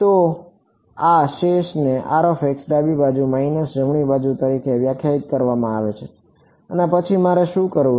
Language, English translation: Gujarati, So, this residual R of x is defined as left hand side minus right hand side and then what do I want to do